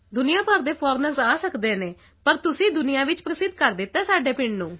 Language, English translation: Punjabi, Foreigners from all over the world can come but you have made our village famous in the world